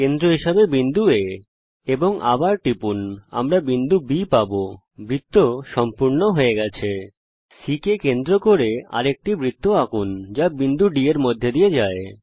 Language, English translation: Bengali, Let us construct an another circle with center C which passes through D